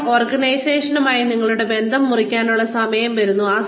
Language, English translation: Malayalam, Now, the time comes, to cut your bonds, with the organization